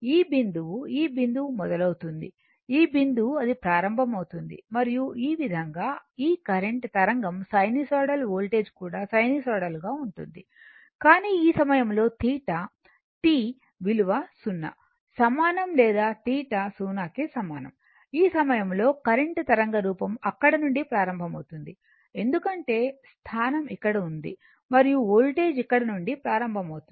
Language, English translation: Telugu, That your this point this point it will start, this point it will start, and in that way that sin your what you call this current wave will be your what you call this sinusoidal one voltage also sinusoidal one, but at theta is equal to this this time your t or theta is equal to 0, current waveform will start from there because position is here and voltage will start from here somewhere here, right